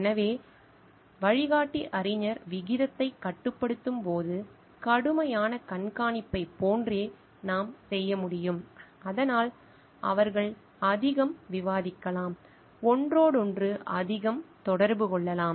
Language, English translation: Tamil, So, what we can do is like strict supervision when restricting the guide scholar ratio, so that they can discuss more, interact more with each other